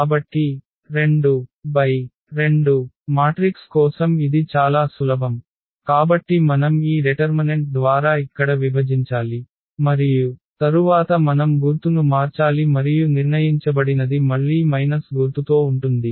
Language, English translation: Telugu, So, for 2 by 2 matrix it is simple, so we have to divide here by this determinant and then we need to change the sign and determined will be again with minus sign